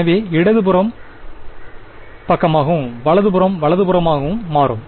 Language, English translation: Tamil, So, this becomes that is the left hand side and right hand side becomes right